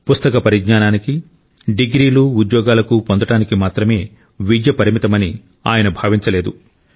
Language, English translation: Telugu, He did not consider education to be limited only to bookish knowledge, degree and job